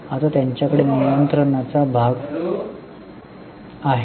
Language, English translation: Marathi, Now, they have the controlling stake